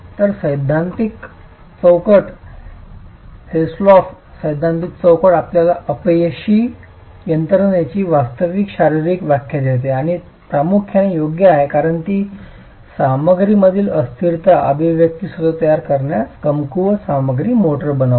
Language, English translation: Marathi, So this theoretical framework, the HILSTOV theoretical framework actually gives you a better physical interpretation of the failure mechanism and is appropriate primarily because it considers the inelasticity in the material, the weaker material, the motor in formulating the expression itself